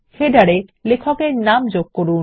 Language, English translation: Bengali, Insert the author name in the header